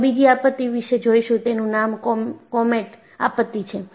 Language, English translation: Gujarati, The another disaster which we will look at is the comet disaster